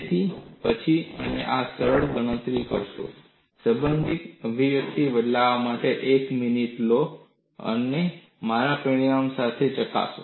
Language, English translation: Gujarati, So, do these simple calculations then and there, take a minute for substituting it in the relevant expression, and verify it with my result